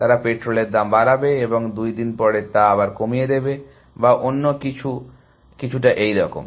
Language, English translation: Bengali, So, they would increase the petrol prices and after two days roll it back or something, little bit like that